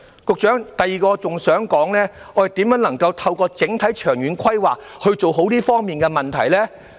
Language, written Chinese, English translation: Cantonese, 局長，第二，我亦想說說，我們如何能夠透過整體長遠規劃做好這方面的問題呢？, Second Secretary I also want to talk about how we can do well in dealing with the issues in this regard via overall long - term planning